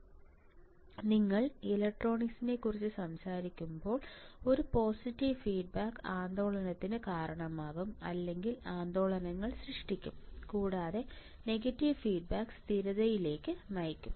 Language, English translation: Malayalam, So, for the op amp when you talk about electronics a positive feedback will cause oscillation or generate oscillations and negative feedback will lead to stability ok